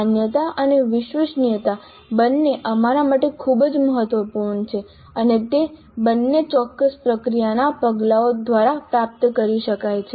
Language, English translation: Gujarati, So, the validity and reliability both are very important for us and both of them can be achieved through following certain process steps